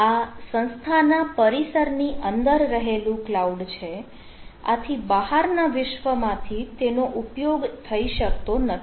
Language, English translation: Gujarati, so as it is a in house cloud, so this is not accessible from the external world